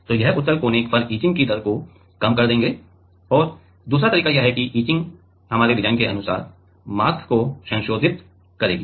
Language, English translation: Hindi, So, these will reduce the etching rate at the convex corner and another way is that etch will modify the mask according to our design